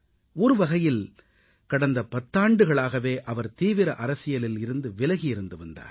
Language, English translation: Tamil, In a way, he was cutoff from active politics for the last 10 years